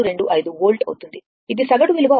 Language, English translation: Telugu, 625 volt this will be the average value right